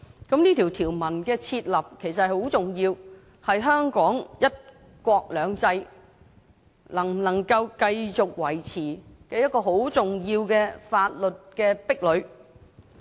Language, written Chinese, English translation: Cantonese, 這項條文的訂立其實很重要，是香港的"一國兩制"能否繼續維持的一個很重要的法律壁壘。, The formulation of this provision is actually very important as it is a legal bulwark crucial to the maintenance of one country two systems in Hong Kong